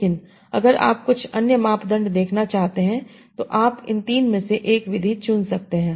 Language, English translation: Hindi, But if you want to see some other criteria, you can choose one of the three methods